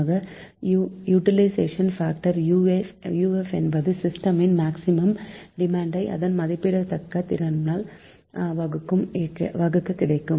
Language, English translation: Tamil, so utilization factor you define uf is can be given as maximum demand of the system divided by rated system capacity